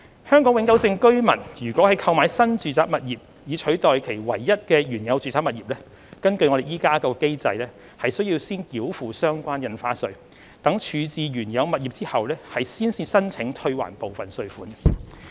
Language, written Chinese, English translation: Cantonese, 香港永久性居民如購買新住宅物業以取代其唯一的原有住宅物業，根據現行機制，須先繳付相關印花稅，待處置原有物業後才申請退還部分稅款。, Under the existing mechanism if a Hong Kong permanent resident acquires a new residential property to replace hisher only original residential property heshe has to pay the relevant stamp duty first and claim partial refund of the stamp duty paid after disposing of the original property